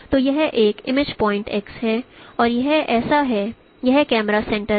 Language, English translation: Hindi, So, so this is the image point x and this is my camera center